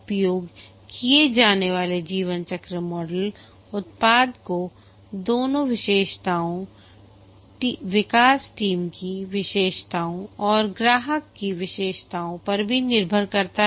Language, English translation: Hindi, The lifecycle model to be used depends on both the characteristics of the product, the characteristics of the development team and also the characteristics of the customer